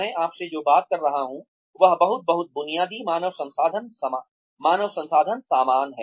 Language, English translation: Hindi, What I am talking to you, is very very, basic human resources stuff